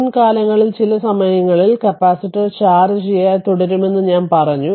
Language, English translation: Malayalam, I told you that at the past in the past at some time, capacitor will remain uncharged